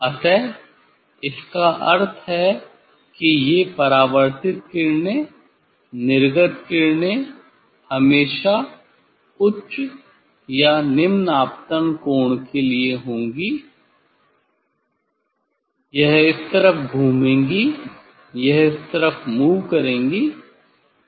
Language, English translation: Hindi, So; that means, these reflected rays emerging ray it will all the time for higher or lower incident angle, it will rotate this side, it will move this side